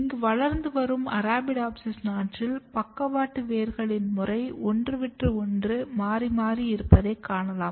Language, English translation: Tamil, So, if you look wild type growing Arabidopsis seedling here, you can see that the mode of lateral roots are alternates